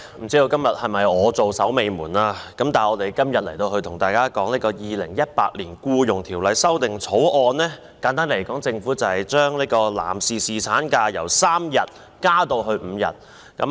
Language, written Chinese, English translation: Cantonese, 主席，不知我是否今天最後一位發言的議員，今天討論的《2018年僱傭條例草案》，簡單來說，是政府把男士侍產假由3日增加至5日。, President I wonder if I am the last one to speak today . To put it in a nutshell the Employment Amendment Bill 2018 the Bill under discussion today is introduced by the Government to extend the paternity leave for male employees from three days to five days